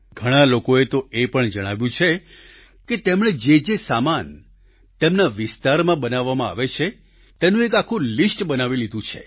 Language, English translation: Gujarati, Many people have mentioned the fact that they have made complete lists of the products being manufactured in their vicinity